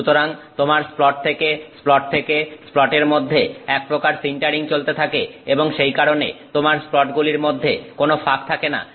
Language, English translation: Bengali, So, you have sort of a sintering going on between splat to splat to splat, that is why you do not have a gap between the splats